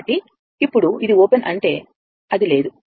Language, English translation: Telugu, So now, this is open means, it is not there